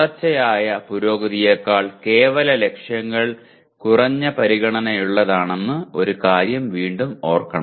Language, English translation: Malayalam, And one thing again should be remembered that absolute targets are of less concern than continuous improvement